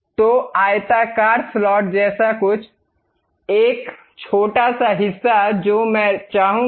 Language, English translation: Hindi, So, something like a rectangular slot, a small portion I would like to have